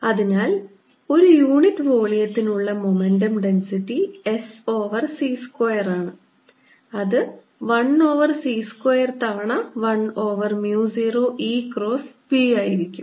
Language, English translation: Malayalam, so momentum density per unit volume momentum is going to be s over c square, equal to one over c square times one over mu zero, e cross b, since one over c square is mu zero, epsilon zero